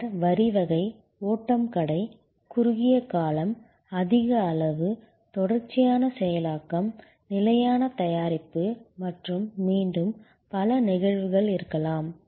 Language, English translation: Tamil, And then, there can be line type, flow shop, short duration, high volume, continuous processing, standard product and again, there can be many instances